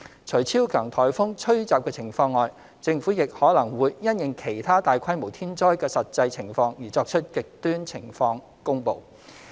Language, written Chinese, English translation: Cantonese, 除超強颱風吹襲的情況外，政府亦可能會因應其他大規模天災的實際情況而作出"極端情況"公布。, Apart from the situation of super typhoon the extreme conditions announcement may also be made depending on the actual circumstances of other natural disasters of a substantial scale